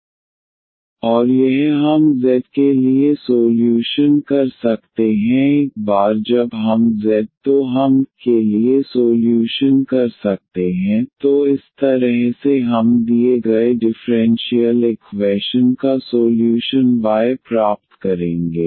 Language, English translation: Hindi, And this we can solve first for z once we have z, then we can solve for y, so in that way we will get the solution y of the given differential equation